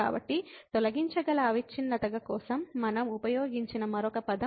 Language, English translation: Telugu, So, there is another term we used for removable discontinuity